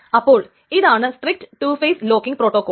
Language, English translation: Malayalam, So that is the strict two phase locking protocol